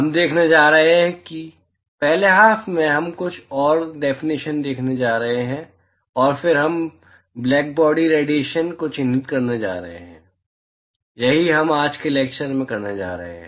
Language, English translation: Hindi, We are going to see, in the first half we are going to see some more definitions, and then we are going to move on to characterizing blackbody radiation, that is what we are going to do in today's lecture